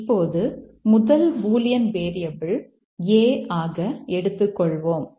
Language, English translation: Tamil, Now let's take the first bullion variable A